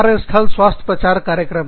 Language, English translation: Hindi, Workplace health promotion programs